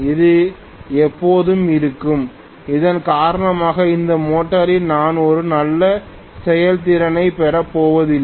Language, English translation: Tamil, It will be always there because of which I am not going to have really a good efficiency in this motor